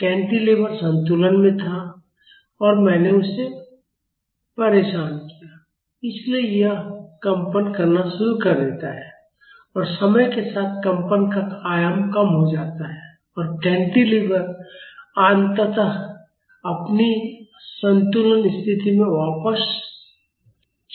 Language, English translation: Hindi, The cantilever was in equilibrium and I disturbed it; so, it started vibrating and the vibration amplitude reduces with time and the cantilever eventually goes back to its equilibrium position